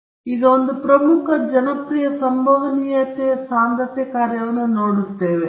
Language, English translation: Kannada, So, now, we will be looking at one of the most important and popular Probability Density Function